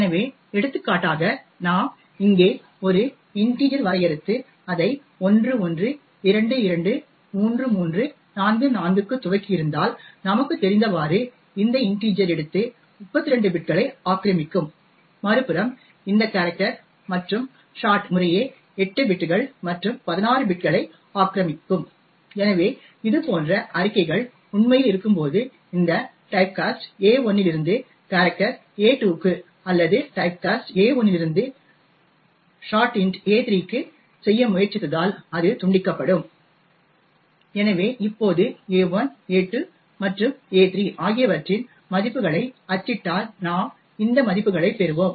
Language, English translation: Tamil, So, for example if we have defined an integer over here and initialised it to 11223344 what we do know is that this integer will take will occupy 32 bits on the other hand this character as well as the short would occupy 8 bits and 16 bits respectively, so therefore when we actually have statements such as this where we try to typecast a1 to this character a2 or typecast a1 to the short int a3 it would result in truncation, so if we now print the values of a1, a2 and a3 we will get this values